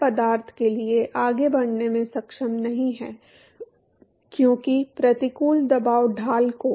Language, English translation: Hindi, To the fluid is no more able to move forward because the adverse pressure gradient to